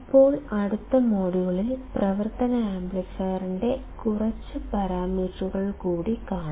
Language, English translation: Malayalam, Now, in the next module we will see few more parameters of the operational amplifier